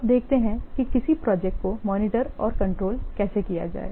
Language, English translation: Hindi, Now let's see how to monitor and control the progress of a project